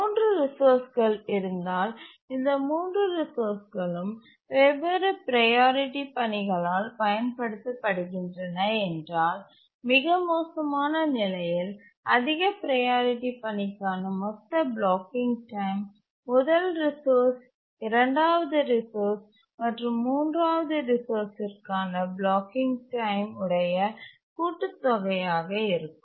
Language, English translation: Tamil, If there are three resources and these three resources are used by different sets of lower priority tasks, then the total blocking time for the high priority task in the worst case will be the blocking time for the first resource plus the blocking time of the second resource plus the blocking time of the third resource where the blocking time for each resource is given by theorem one